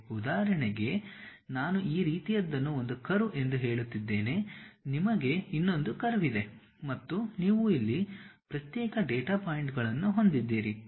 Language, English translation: Kannada, For example, like if I am saying something like this is one curve, you have another curve, you have another curve and you have isolated data points here and there